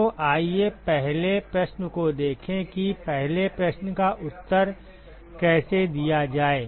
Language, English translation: Hindi, So, let us look at the first question how to answer the first question